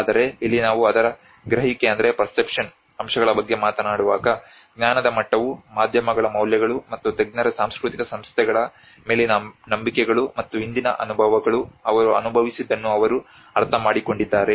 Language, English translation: Kannada, Whereas here when we talk about the perception aspects of it the level of knowledge the beliefs and values the media and the trust in the expert’s cultural institutions, and the past experience what they have understood what they have experienced